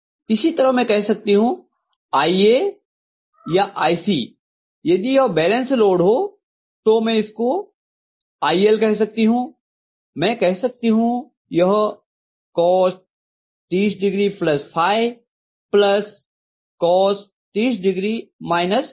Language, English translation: Hindi, Similarly, I can say IA or IC, if it is a balance load condition and I can call that as IL, I can say this is cos of 30 plus phi plus cos of 30 minus phi, right